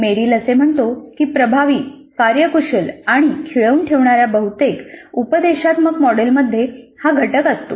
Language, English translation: Marathi, What Merrill says is that most of the instructional models that are effective, efficient and engaging have this component